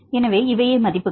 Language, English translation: Tamil, So, this is the values